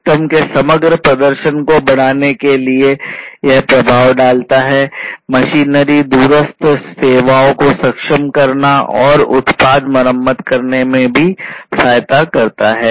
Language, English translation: Hindi, And the effect is to increase or enhance the overall performance of the system, of the machinery, enabling remote services, assisting in repairing the product, and so on